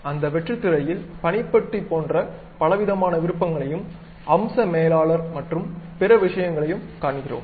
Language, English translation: Tamil, In that blank screen, we see variety of options like taskbar, and something like feature feature manager and the other things